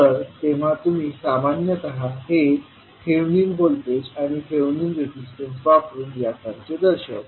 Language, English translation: Marathi, You generally represent it like thevenin voltage and the thevenin resistance